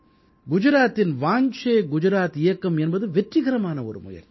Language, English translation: Tamil, The Vaanche Gujarat campaign carried out in Gujarat was a successful experiment